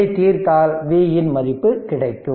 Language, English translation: Tamil, You will get V is equal to 33